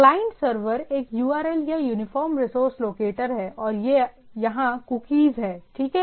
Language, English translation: Hindi, Client, Server, there is a URL or Uniform Resource Locator and there are Cookies, right